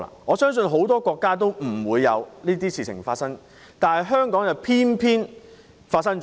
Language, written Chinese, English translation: Cantonese, 我相信很多國家不會發生這種事，但香港偏偏發生了。, I believe such a thing will not happen in many countries but it has indeed happened in Hong Kong